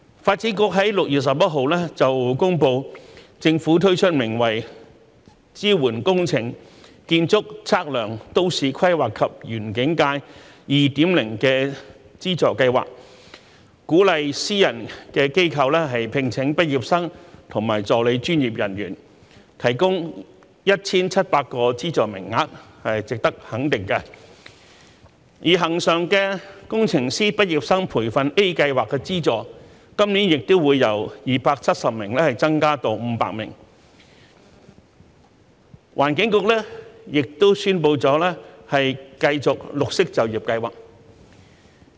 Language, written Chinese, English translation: Cantonese, 發展局在6月11日公布，政府推出名為"支援工程、建築、測量、都市規劃及園境界 2.0" 的資助計劃，鼓勵私人機構聘請畢業生及助理專業人員，提供 1,700 個資助名額，值得肯定；而恆常的工程畢業生培訓計劃 A 的資助名額，今年亦由270名增至500名；環境局亦已宣布繼續綠色就業計劃。, The Development Bureau announced on 11 June that the Government has launched a subsidy scheme entitled Support for Engineering Architectural Surveying Town Planning and Landscape Sectors 2.0 to encourage private organizations to employ graduates and assistant professionals providing 1 700 subsidy places . This deserves our recognition . As for the regular Engineering Graduate Training Scheme A the number of subsidy places has been increased from 270 to 500 this year